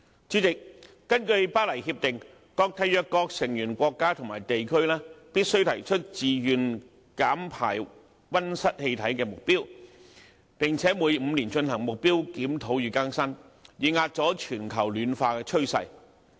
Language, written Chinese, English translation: Cantonese, 主席，根據《巴黎協定》，各締約成員國家和地區必須提出自願減排溫室氣體的目標，並且每5年進行目標檢討與更新，以遏阻全球暖化的趨勢。, President according to the Paris Agreement all member parties are required to propose targets for voluntary reduction in emission of greenhouse gases which should be reviewed and updated every five years in order to curb the trend of global warming